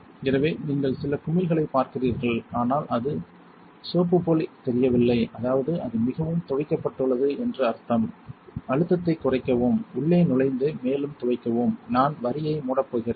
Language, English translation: Tamil, So, you see some bubbles, but it does not look soapy anymore which means it is pretty much rinsed off I am going to close the line not all the way just enough like this to lower the pressure, reach in and give it one more rinse carefully